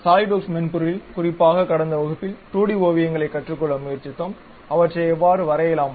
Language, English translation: Tamil, In the Solidworks software, in the last class especially we tried to learn 2D sketches, how to draw them